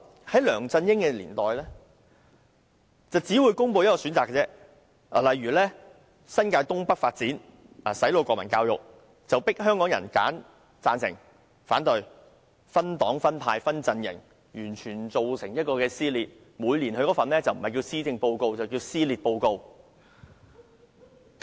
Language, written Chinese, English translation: Cantonese, 在梁振英年代，政府只會公布1個選擇，例如新界東北發展和"洗腦"國民教育，香港人當時被迫選擇贊成或反對，社會出現了分黨、分派和分陣營的局面，完全造成撕裂。, In the era of LEUNG Chun - ying the Government would announce only one option for the Northeast New Territories development project the brainwashing national education and so on . Since the people of Hong Kong were compelled to choose for or against at that time members of the community were divided into different parties factions and camps . As a result society was torn apart completely